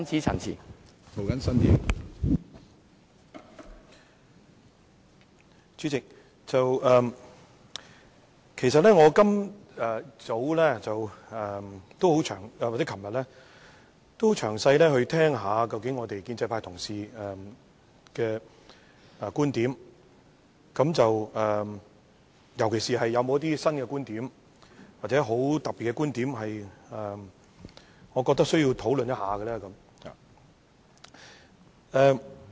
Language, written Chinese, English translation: Cantonese, 主席，其實今早和昨晚我都很認真聆聽建制派同事的觀點，尤其是聽一聽有否新觀點或很特別的觀點是我覺得需要討論一下的。, President last night and this morning I listened very carefully to the viewpoints aired by colleagues from the pro - establishment camp . I was particularly looking for new or very special viewpoints which warranted discussion